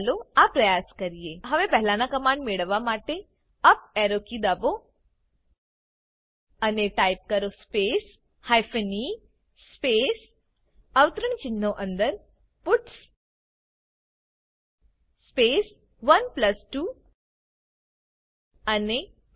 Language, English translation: Gujarati, Lets try this out Now press the up Arrow key to get the previous command and Type space hyphen e space within single quotes puts space 1+2 and Press Enter